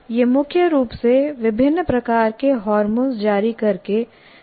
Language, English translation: Hindi, It controls mainly by releasing of a variety of hormones